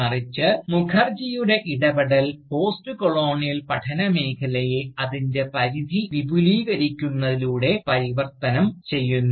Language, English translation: Malayalam, Rather, Mukherjee’s intervention, merely transforms the field of Postcolonial studies, by expanding its ambit